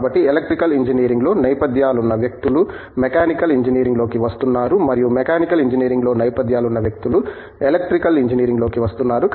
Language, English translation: Telugu, So, people with backgrounds in Electrical Engineering are coming into Mechanical Engineering and vice versa